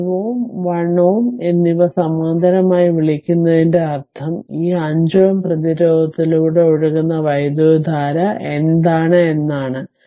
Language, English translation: Malayalam, So, it will find 5 ohm and 1 ohm are in your what you call in parallel that means, what is the current flowing through this 5 ohm resistance right